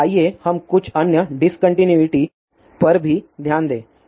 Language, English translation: Hindi, Now, let us also look at some of the other discontinuities